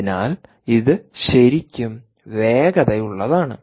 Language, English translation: Malayalam, so its really fast, really, really fast